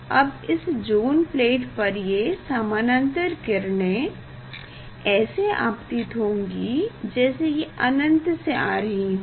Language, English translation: Hindi, Now on zone plate this parallel laser , as if this light is coming from the infinity